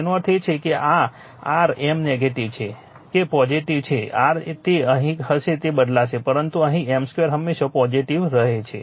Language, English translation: Gujarati, That means this your M is negative or positive does the your it will be here it will change, but here M square is always positive right